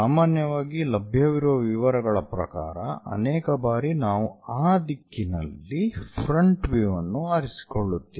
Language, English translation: Kannada, Usually, the details which are available many that direction we will pick it as frontal view most of the times